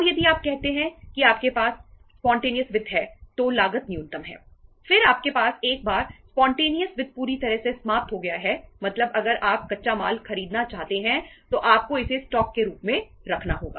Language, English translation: Hindi, Then you have once that spontaneous finance is fully exhausted means if you want to buy the raw material then you have to keep it as a stock